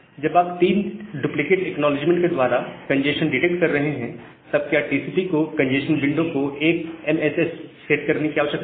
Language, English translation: Hindi, So, once you are detecting a congestion through 3 duplicate acknowledgement, do TCP really need to set congestion window to 1 MSS